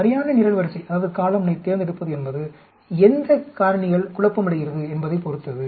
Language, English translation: Tamil, And selection of the correct column will depend upon which factors get confounded